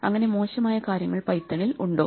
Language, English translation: Malayalam, So are there things that are bad about Python